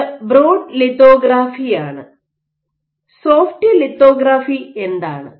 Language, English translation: Malayalam, So, this is broadly lithography, what is soft lithography